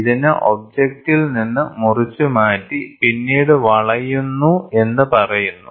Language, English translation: Malayalam, So, this is called as the, it is cut away of the object and then it bends